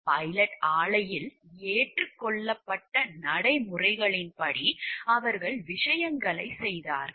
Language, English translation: Tamil, And that they did things according to accepted practices at the pilot plant